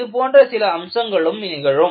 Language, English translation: Tamil, Some, such aspect will happen